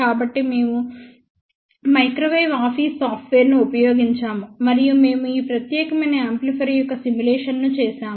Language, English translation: Telugu, So, we have used microwave office software and we have done the simulation of this particular amplifier